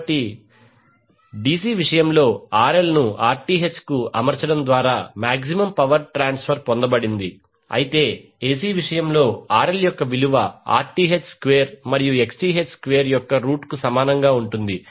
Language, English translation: Telugu, So, in case of DC, the maximum power transfer was obtained by setting RL is equal to Rth, but in case of AC the value of RL would be equal to under root of Rth square plus Xth square